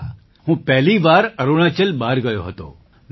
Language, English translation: Gujarati, Yes, I had gone out of Arunachal for the first time